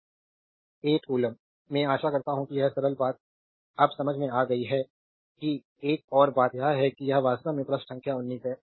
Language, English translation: Hindi, So, 8 coulomb right I hope you have understood this simple thing now another thing another example is this is actually page number 19 here